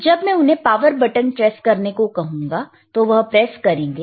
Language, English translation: Hindi, Wwhen I when I ask him to press power button, he will press it